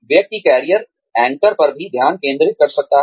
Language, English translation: Hindi, One could also focus on, career anchors